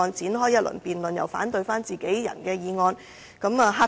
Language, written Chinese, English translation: Cantonese, 引發這一輪辯論其實有何意義呢？, What is the point of triggering this debate?